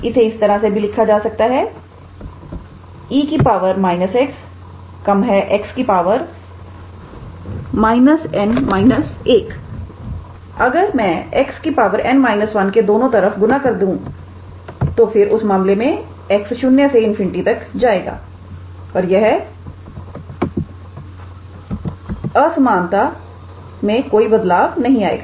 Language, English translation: Hindi, Now, if I multiply both sides by x to the power n minus 1 then in that case this will be since x is running from 0 to infinity this inequality will remain unchanged